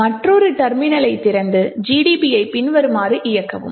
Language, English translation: Tamil, So, will open another terminal and run GDB as follows